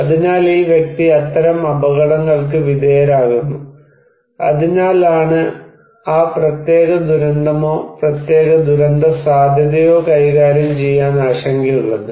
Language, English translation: Malayalam, So, this person is exposed to that kind of hazard, and that is why we have concern to manage that particular disaster or particular disaster risk right